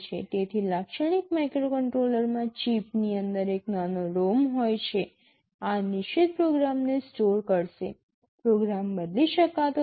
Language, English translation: Gujarati, So, in a typical microcontroller there is a small ROM inside the chip, this will be storing the fixed program, the program cannot be changed